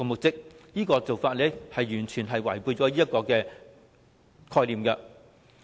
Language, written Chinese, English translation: Cantonese, 這種做法是完全違背了有關概念。, Such an approach completely contravenes the underlying concept of reinstatement